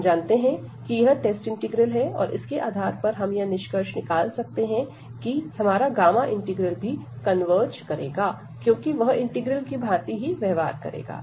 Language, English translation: Hindi, And based on this we can conclude that our gamma integral will also converge, because they will behave the same this integral